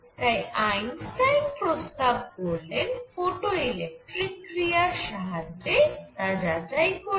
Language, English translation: Bengali, So, for that Einstein proposed checking it through photo electric effect